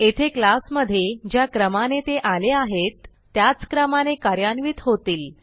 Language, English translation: Marathi, In this case they execute in the sequence in which they appear in the class